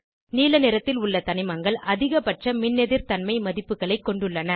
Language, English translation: Tamil, Elements with blue color have highest Electronegativity values